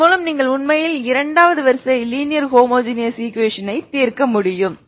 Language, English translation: Tamil, So this is how you can solve any second order linear you can you can you can actually solve second order linear homogeneous equation